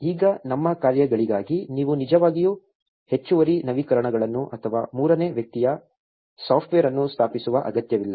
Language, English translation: Kannada, Now, you do not really need to install additional updates or third party software for our tasks